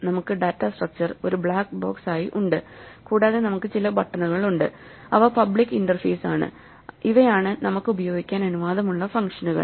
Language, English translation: Malayalam, So, we have the data structure as a black box and we have certain buttons which are the public interface, these are the functions that we are allowed to use